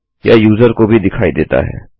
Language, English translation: Hindi, It is visible to the user